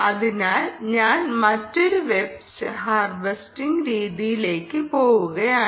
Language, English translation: Malayalam, let me go into another mode of harvesting